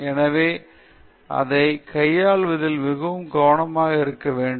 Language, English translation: Tamil, So, one has to be very careful in dealing with that